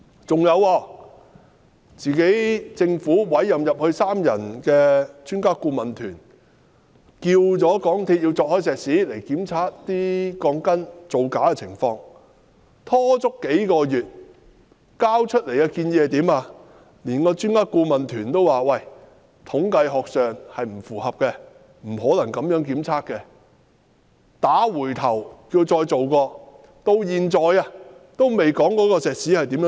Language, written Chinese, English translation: Cantonese, 此外，政府委任的三人專家顧問團要求港鐵公司鑿開石屎檢查鋼筋造假的情況，但港鐵公司拖延數月後交出來的建議，專家顧問團說不符合統計學，不可能這樣檢測，將該建議退回港鐵公司要求重做。, Besides the three - member Expert Adviser Team appointed by the Government has asked MTRCL to open up the concrete to inspect any faulty reinforcement steel bars and MTRCL submitted its proposal after procrastinating for a few months . But according to the Expert Adviser Team this proposal was not in line with statistical analysis and an inspection could not be done in this way . The proposal was then returned to MTRCL which was asked to submit another proposal